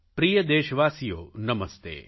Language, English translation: Gujarati, My dear countrymen, Namaste